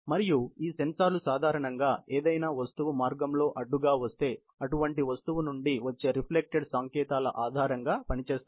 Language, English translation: Telugu, And these sensors are typically, working on reflected signals on any such object comes on the path as an obstacle